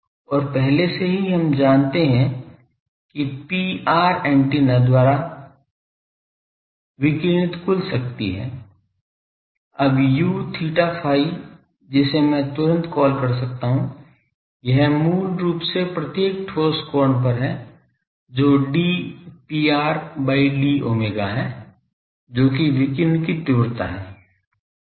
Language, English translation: Hindi, And already we know that P r is the total power radiated by the antenna , now U theta phi that I can call that instantaneously , it is basically at every solid angle what is the d P r d phi , that is the radiation intensity